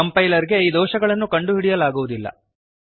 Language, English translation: Kannada, Compiler cannnot find these errors